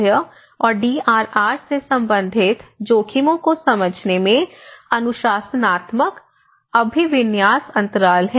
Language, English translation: Hindi, Also, there is a disciplinary orientation gaps in undertaking risk in understanding risks related to health and DRR